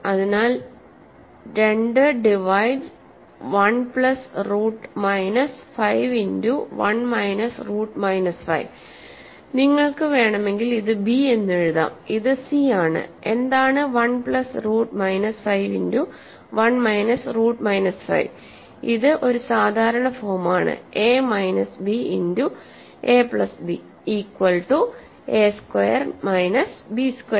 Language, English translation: Malayalam, So, this is my b if you want and this is my c, what is 1 plus root minus 5 times 1 minus root minus 5, this is the usual form right a minus b times a plus b is s squared minus b squared so, this is 1 squared minus square root minus 5 squared